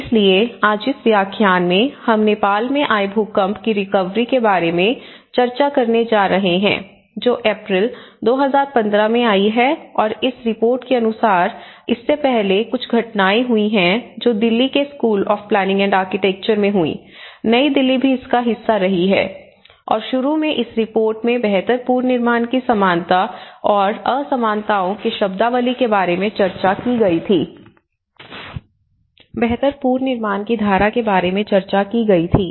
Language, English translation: Hindi, So, in today's lecture, we are going to discuss about the Nepal earthquake recovery, which has hit in the April of 2015 and as a part of this report before this there have been some event which happened in Delhi and School of Planning and Architecture, New Delhi also have been part of this and initially this report discusses about the jargon on similarities and dissimilarities of a build back better, the notion of build back better